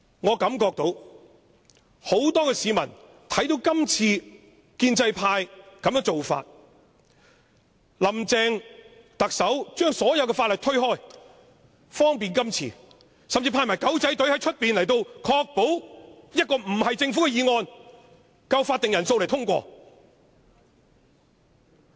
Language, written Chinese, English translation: Cantonese, 我感覺到很多市民看到今次建制派的做法，看到林鄭特首不提交任何法案以方便今次的審議，甚至派出"狗仔隊"在外面，確保這項不是政府的議案也會有足夠法定人數通過。, I think many people are aware of what the pro - establishment camp has done . They can also see that Chief Executive Carrie LAMs denial to submit any bills to the Legislative Council is to make way for the deliberation of the amendments and that the deployment of the paparazzi outside the Chamber is to ensure this non - Government motion will meet the quorum requirement and be passed